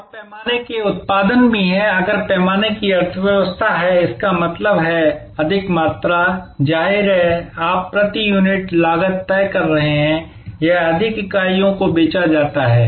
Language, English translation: Hindi, And also the scale production are if there is a economy of scale; that means, more volume; obviously you are fixed cost per unit will down, it more units are sold so